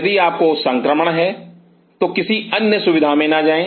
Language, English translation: Hindi, If you have infections do not get another facility